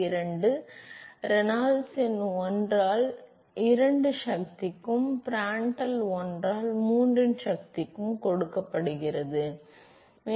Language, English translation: Tamil, 332 Reynolds number to the power 1 by 2 and Prandtl to the power of 1 by 3